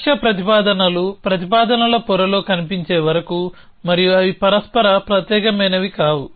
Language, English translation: Telugu, Till the time when the goal propositions appear in a propositions layer and they are not mutually exclusive